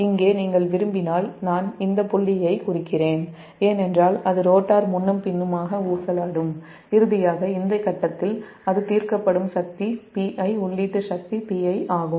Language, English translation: Tamil, if you want here something, i mean this point, this point, this point, it will, because rotor will oscillate back and forth and finally it will be settled at this point because power watt, p i, input power worth, p i